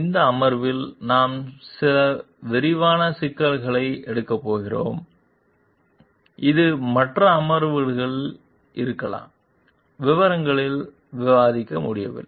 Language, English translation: Tamil, In this session we are going to take up some detailed issues, which may be in the other sessions we could not discuss in details